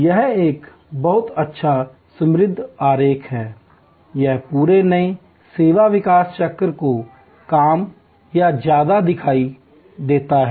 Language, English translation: Hindi, This is a very good rich diagram; it shows more or less the entire new service development cycle